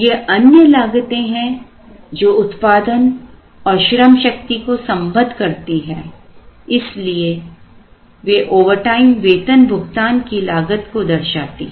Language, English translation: Hindi, Now, these are other costs that relate production and workforce, so they would represent the overtime payroll cost and so on